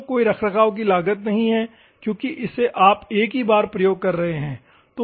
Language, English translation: Hindi, So, there is no maintenance cost because one time use so, you are using it